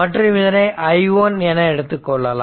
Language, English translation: Tamil, And this side, I mean this current if we take say i 1